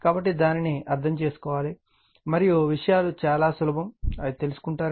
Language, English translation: Telugu, So, and we have to understand that, and we will find things are very easy